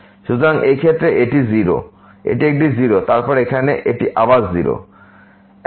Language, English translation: Bengali, So, in this case it is a 0 and then here it is again 0